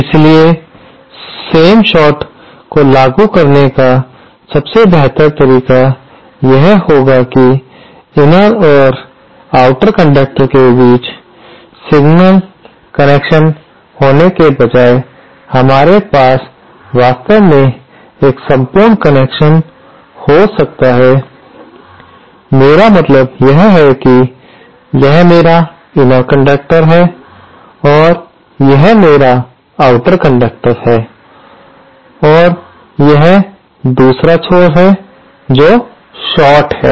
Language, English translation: Hindi, So, a better way of implementing the same short would be that instead of having one single connection between the inner and the outer conductor, we might actually have a throughout connection, what I mean is, say this is my inner conductor and this is my outer conductor and say this is the other end which is shorted